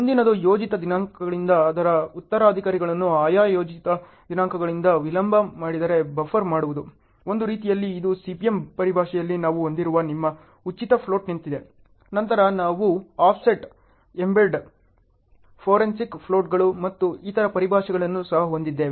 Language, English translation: Kannada, Next is buffer the amount of shift from planned dates without delaying any of it’s successors from their respective planned dates; in a way it’s like your free float we have in CPM terminologies; then we also have other terminologies like offset, embed, forensic floats and so on ok